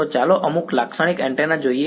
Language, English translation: Gujarati, So, let us look at some typical antennas ok